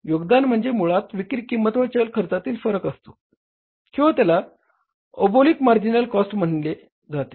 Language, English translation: Marathi, So, contribution is basically the difference between the selling price minus variable cost or you call it as oblique marginal cost